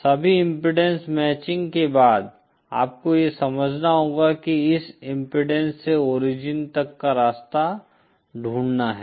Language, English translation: Hindi, After all impedance matching you have to understand is finding the path from this impedance to the origin